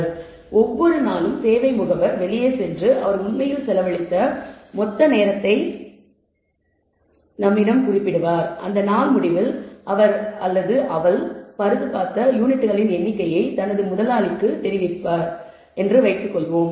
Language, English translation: Tamil, So, let us assume that every day the service agent goes out on his rounds and notes the total amount of time he has actually spent and tells at the end of the day reports to his boss the number of units that he has repaired he or she has replied